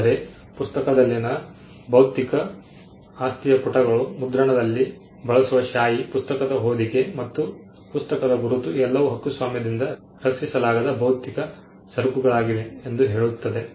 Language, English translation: Kannada, Whereas, the physical property in the book itself says the pages, the ink used in printing, the cover and the bookmark are all physical goods which are not protected by the copyright regime